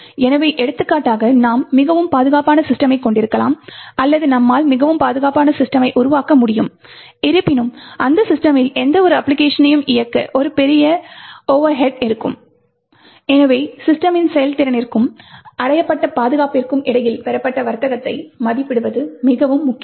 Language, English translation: Tamil, So, for example, we could have highly secure system, or we could develop a highly secure system, however, to execute or run any application on that system would be a huge overhead and therefore it is very important to evaluate the trade off obtain between performance of the system and the security achieved